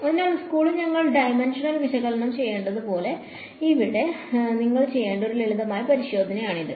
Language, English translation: Malayalam, So, that is one simple check that you should do, like in school we should do dimensional analysis right